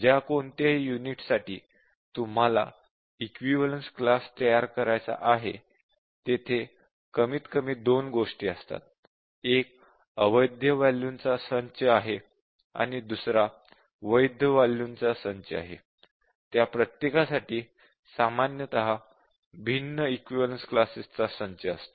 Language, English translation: Marathi, We are saying that given any unit for which you have to design equivalence class, there are at least two one are the invalid set of values and the other are the valid set of values, and each of them will have typically different sets of equivalence classes